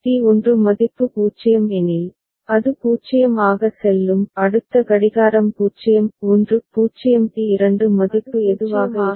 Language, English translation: Tamil, If D1 value is 0, it will go as 0; next clock 0 1 0 whatever is the D2 value, ok